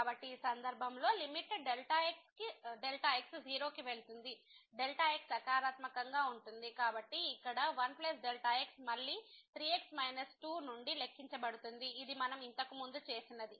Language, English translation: Telugu, So, in this case the limit goes to 0 the is positive; so, here 1 plus again will be calculated from 3 minus 2 which we have just done before